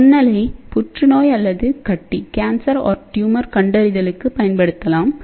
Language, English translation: Tamil, So, microwave can be used for cancer or tumor detection